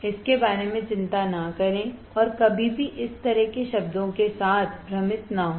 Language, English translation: Hindi, Do not worry about it and never get confused with this kind of terms right